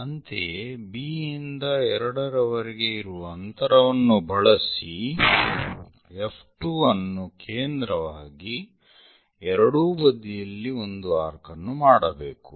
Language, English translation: Kannada, Similarly, from B to 2 distance whatever the distance F 2 as centre make an arc on both sides